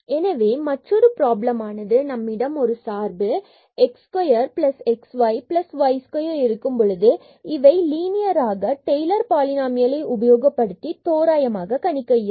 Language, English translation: Tamil, So, another problem when we have the function here x square plus xy and plus this y square be linearly approximated by the tailors polynomial